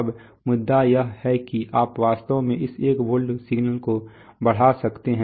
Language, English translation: Hindi, Now the point is that you could actually amplify this 1 volt signal